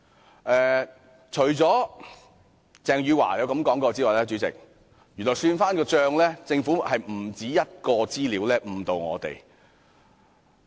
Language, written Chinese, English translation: Cantonese, 主席，除了鄭汝樺的說話外，翻看資料發現，原來政府不單有一項資料誤導我們。, President information shows that besides Eva CHENGs remark the Government has provided other misleading information to us